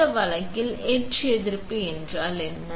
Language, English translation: Tamil, What is etch resistance in this case